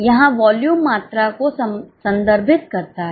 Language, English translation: Hindi, Volume here refers to quantity